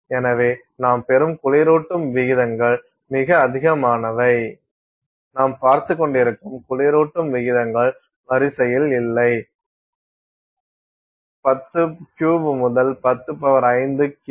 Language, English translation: Tamil, So, the cooling rates they get are huge, the cooling rates we are looking at is off the order of 103 to 105 K/s